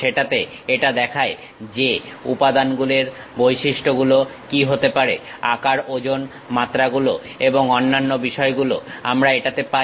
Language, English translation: Bengali, In that it shows what might be the material properties, size, weight, dimensions and other things we will have it